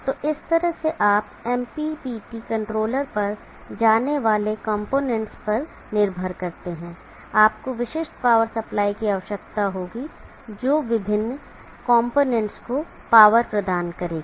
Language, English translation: Hindi, So like that you depending upon what components going to the MPPT controller you will need specific power supplies that will power of the various components